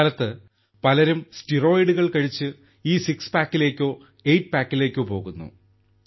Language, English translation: Malayalam, Nowadays, so many people take steroids and go for this six pack or eight pack